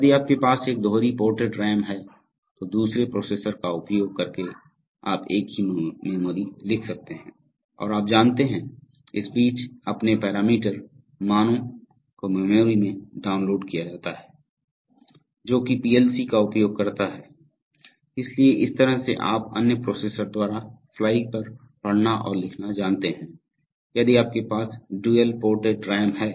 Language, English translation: Hindi, If you have a dual ported RAM then using another processor you could write the same memory and you know, download your parameter values in the meantime into the memory which the PLC will use as it gets them okay, so this kind of you know reading and writing on the fly by another processor is possible if you have dual ported RAM